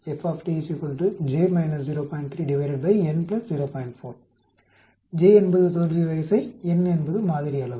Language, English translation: Tamil, 4, j is the failure order and n is the sample order